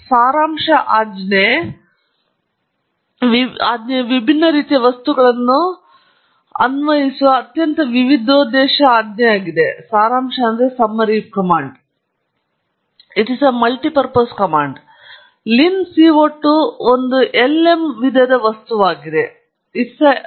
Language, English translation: Kannada, The summary command is a very multipurpose command which applies to different types of objects; lin CO 2 is an lm type object, basically it’s a model type object and it has several components to it